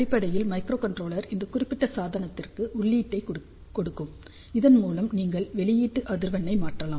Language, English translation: Tamil, So, basically microcontroller will give input to this particular device, so that you can change the output frequency